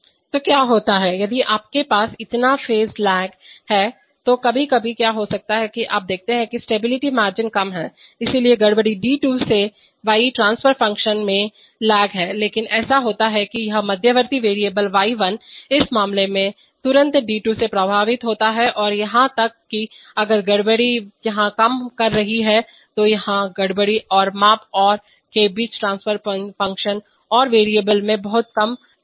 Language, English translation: Hindi, So what happens is that, if you have so much of phase lag then what sometimes, what can happen is that you see the stability margins are lower, so disturbance d2 to y transfer function has lag and the, but it so happens that this intermediate variable y1 is immediately affected by d2 in this case or even if the disturbance is acting here, the transfer function between the disturbance here and the measurement and the, and the and the variable y1 has much less lag